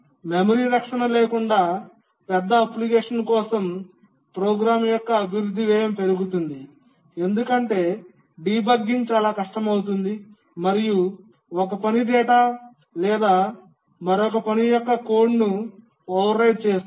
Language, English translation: Telugu, But then for larger application without memory protection, the cost of development of the program increases because debugging becomes very hard, one task can overwrite the data or the code of another task